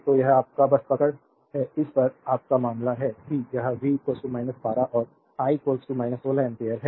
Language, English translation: Hindi, So, this is your just hold on this is your case c it is V is equal to minus 12 and I is equal to minus 16 ampere